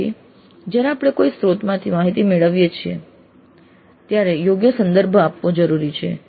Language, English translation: Gujarati, So when we pick up the information from some source, it is necessary to give proper reference